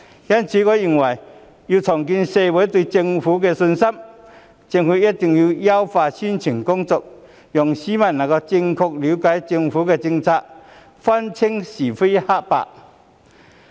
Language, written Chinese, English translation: Cantonese, 因此，要重建社會對政府的信心，我認為政府一定要優化宣傳工作，讓市民能夠正確了解政府的政策，分清是非黑白。, Thus in order to rebuild public confidence in the Government I think the Government must enhance its publicity work so that the public can correctly understand its policies and distinguish between right and wrong